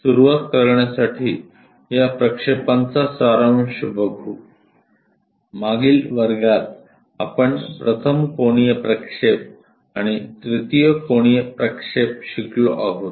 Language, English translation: Marathi, Just to begin with these projections as a summary, in the last classes we have learnt something about first angle projections and third angle projections